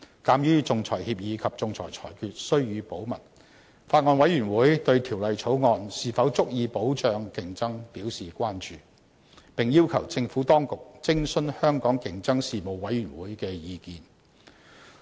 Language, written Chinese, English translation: Cantonese, 鑒於仲裁協議及仲裁裁決須予以保密，法案委員會對《條例草案》是否足以保障競爭表示關注，並要求政府當局徵詢香港競爭事務委員會的意見。, The Bills Committee has raised concerns about the adequacy of the Bill in safeguarding competition in view of the confidentiality of the arbitration agreement and arbitral award and has requested the Administration to seek the views of the Hong Kong Competition Commission